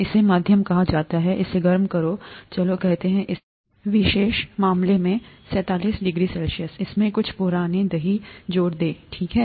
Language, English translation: Hindi, It’s called the medium, warm it up to, let’s say, 37 degree C in this particular case, add some old curd to it, okay